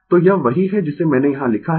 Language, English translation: Hindi, So, that is what I have written here